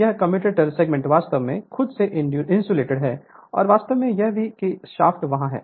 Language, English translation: Hindi, This commutator segment actually they are insulated from themselves right and their they actually that shaft is there